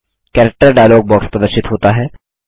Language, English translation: Hindi, The Character dialog box is displayed